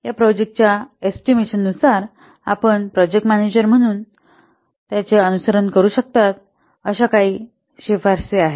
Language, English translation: Marathi, So, these are some of the recommendations that you may follow as a project manager while carrying out project estimations